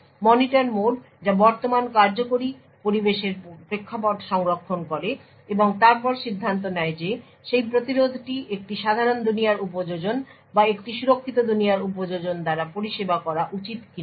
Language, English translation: Bengali, The Monitor mode which saves the context of the current executing environment and then decide whether that interrupt can be should be serviced by a normal world application or a secure world application